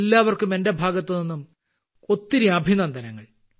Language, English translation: Malayalam, Many many congratulations to all of you from my side